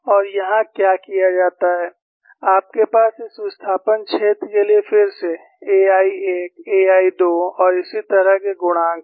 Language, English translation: Hindi, And what is done here is, you have the coefficients for this displacement field again, as a 11, a 12 and so on